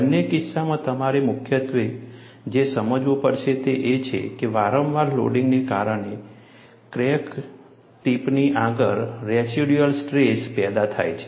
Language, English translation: Gujarati, In both the cases, what you will have to understand primarily is, because of repeated loading, there is a residual stress created, ahead of the crack tip